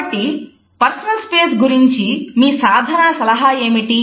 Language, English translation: Telugu, So, what do we mean by personal space